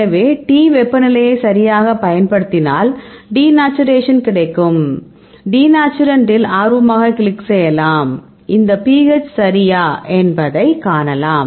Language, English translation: Tamil, So, you can use the T temperature we get denaturant right ok, I can also click at the if you interested in denaturant right, then you can see the pH is these right ok